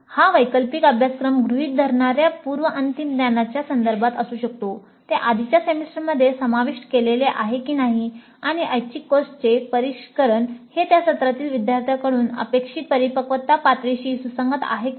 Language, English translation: Marathi, This can be with respect to the pre reg this elective course assumes where it is already covered in the earlier semesters and the sophistication of the elective course is it consistent with the maturity level expected from the students at that semester